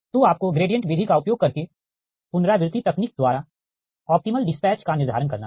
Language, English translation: Hindi, so you have to determine the optimal dispatch by iterative technique, using gradient method